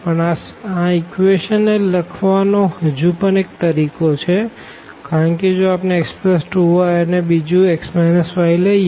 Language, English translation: Gujarati, But, there is another way of writing this equation because, if I consider here this x plus 2 y and the second equation is x minus y